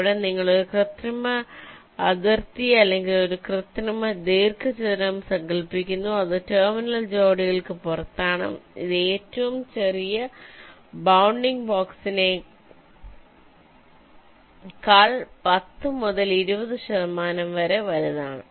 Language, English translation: Malayalam, you imagine an artificial boundary or an artificial rectangle thats outside the terminal pairs, which is typically ten to twenty percent larger than the smallest bounding box